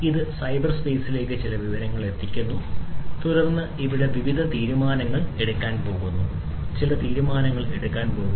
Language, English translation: Malayalam, It is going to send certain information to the cyberspace and then some decision is going to be made over here some decision is going to be made